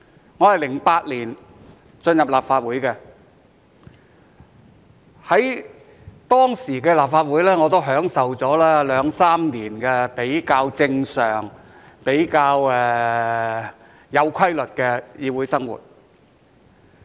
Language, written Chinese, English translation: Cantonese, 我於2008年進入立法會，在當時的立法會，我也享受了兩三年比較正常、比較有規律的議會生活。, I joined the Legislative Council in 2008 and I enjoyed a relatively normal and disciplined parliamentary life for two or three years in the then Legislative Council